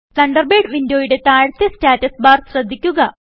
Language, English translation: Malayalam, Note the status bar at the bottom of the Thunderbird window